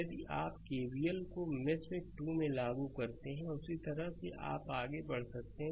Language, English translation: Hindi, If you apply KVL in mesh 2, so same way you can move